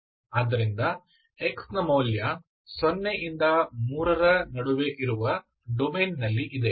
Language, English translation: Kannada, So x is between 0 to 3, this is what is the domain